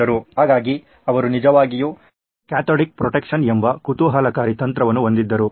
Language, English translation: Kannada, So he actually had a very interesting technique called cathodic protection